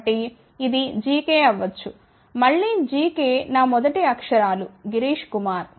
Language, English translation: Telugu, So, capital G k which is of course, again gks happens to be my initials also Girish Kumar